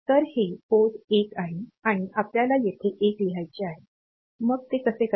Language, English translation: Marathi, So, this is the port 1 and we want to write a 1 here; so how to do it